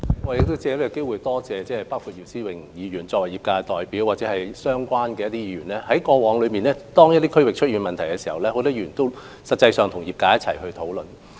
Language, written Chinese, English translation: Cantonese, 我藉此機會多謝作為業界代表的姚思榮議員及相關的議員，因為過往當一些地區出現問題時，他們實際上也有與業界共同討論。, I wish to take this opportunity to thank Mr YIU Si - wing as the representative of the trade in this Council and other relevant Members for taking part in the past discussions with the trade to address the problems in the districts concerned